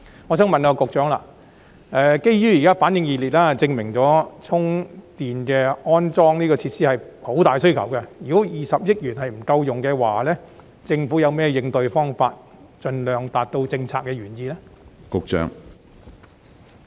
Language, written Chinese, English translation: Cantonese, 我想問局長，基於現時反應熱烈，證明市民對充電安裝設施有很大需求，如果計劃的20億元不夠用，政府有何應對方法盡量達到政策原意呢？, The keen response to the scheme shows that there is a huge public demand for charging facilities . If the 2 billion - funding of the scheme is not sufficient to meet the demand may I ask the Secretary how the Government will respond in order to achieve its initial policy intent as far as possible?